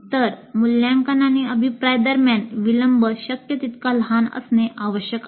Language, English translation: Marathi, So the delay between assessment and feedback must be as small as possible